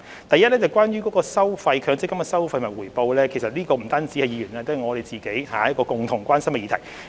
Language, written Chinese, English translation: Cantonese, 第一，關於強積金計劃的收費及回報，這不單是議員關心的議題，也是政府關心的議題。, First concerning the fees and returns of the Mandatory Provident Fund MPF Schemes this is a matter of concern not only to Members but to the Government as well